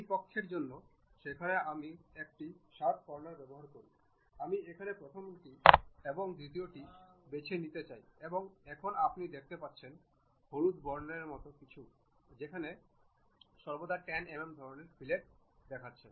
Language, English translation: Bengali, For this side this side there is a sharp corner I would like to pick the first one here and the second one here and now you see something like a yellow color where radius is showing 10 mm kind of fillet